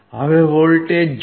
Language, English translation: Gujarati, See the voltage